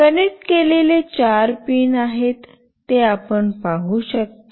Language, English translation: Marathi, You can see there are four pins that are connected